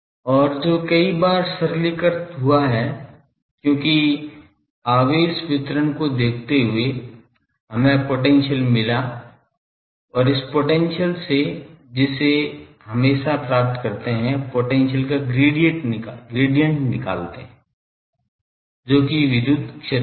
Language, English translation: Hindi, And which many times simplified because looking at the charge distribution there we could have found potential and from potential which would have always find that the gradient of that potential that is the electric field